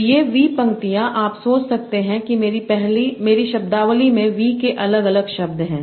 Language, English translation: Hindi, So, these v rows you can think of as if corresponding to v different words in my vocabulary